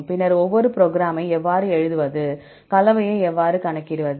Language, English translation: Tamil, Then how to write a program, how to calculate the composition